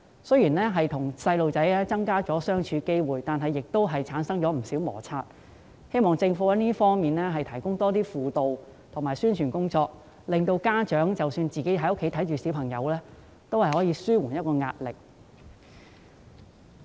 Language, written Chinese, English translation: Cantonese, 雖然他們與子女相處的機會增加，但同時也產生不少摩擦，希望政府可以在這方面增加輔導和宣傳，令家長即使在家照顧子女也有方法紓緩壓力。, Although parents can now spend more time with their children frictions have also increased . I hope that the Government can step up counselling and publicity in this respect so that parents can have ways to alleviate their pressure while taking care of their children at home